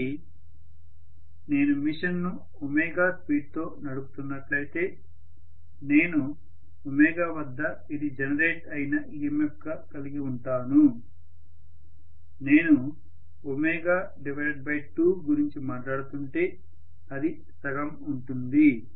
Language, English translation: Telugu, So if I am running the machine at let us say some omega I should have at omega this is the EMF generated if I am talking about omega by 2 it will be half that